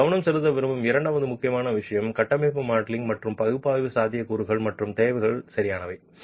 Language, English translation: Tamil, The second important thing that I want to focus on is the possibilities and the requirements of structural modeling and analysis